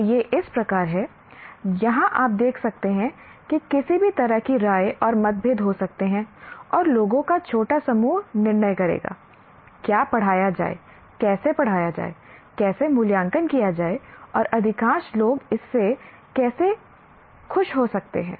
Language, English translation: Hindi, And this is where, as you will notice, there can be any number of opinions and differences and the small group of people will make a decision what to teach, how to teach, how to assess, and maybe majority of the people are not particularly happy with that